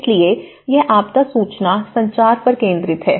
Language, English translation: Hindi, So, it focuses on the disaster information communication